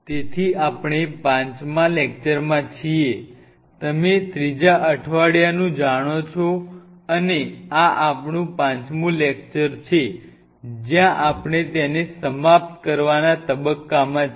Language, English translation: Gujarati, just let me put it like you know, week three and this is our lecture five, where we are almost to the phase of concluding it